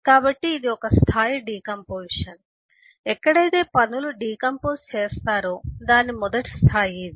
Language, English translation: Telugu, So this is one level of decomposition where this is the first level in which the tasks are decomposed